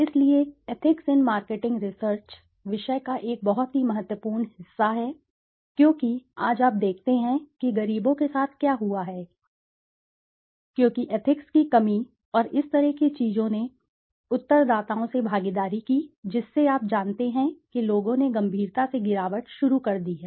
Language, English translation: Hindi, So ethics in marketing research is a very very very important part of the subject because you see today what has happened with poor, because lack of ethics and such kind of things the participation of from respondents, from you know the people has started declining seriously